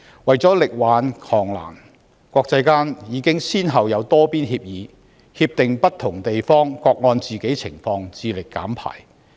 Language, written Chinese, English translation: Cantonese, 為了力挽狂瀾，國際間已先後達成多邊協議，不同地方承諾各按本身情況致力減排。, To resolve these crises multilateral agreements have been concluded internationally for various places to commit to achieving certain emission reduction targets having regard to their own circumstances